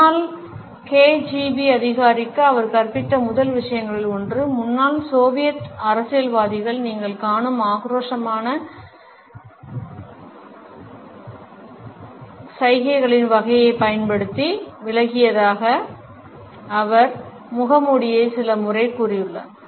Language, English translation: Tamil, He has told the mask out times one of the first things he taught the former KGB officer was just quit using the type of the aggressive gestures you will see in former Soviet politicians